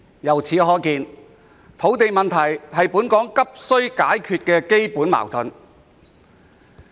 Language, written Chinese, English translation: Cantonese, 由此可見，土地問題是本港急需解決的根本矛盾。, This shows that land problem is a fundamental problem that must be urgently addressed in Hong Kong